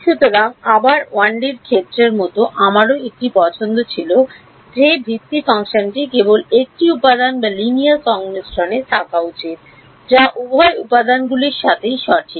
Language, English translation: Bengali, So, again like in 1 D case I had a choice whether the basis function should be belonging only to 1 element or linear combination of something that belongs to both elements right